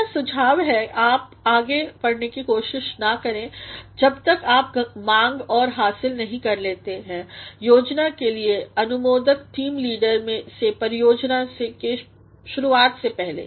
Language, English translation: Hindi, We suggest that you do not attempt to move forward until you seek and obtain approval of the plan from the team leader prior to beginning the project